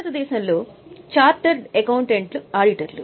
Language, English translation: Telugu, In India, charter accountants are the auditors